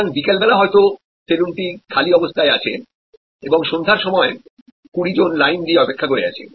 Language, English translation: Bengali, So, the saloon may be lying vacant during afternoon hours and may be 20 people are waiting in the evening hours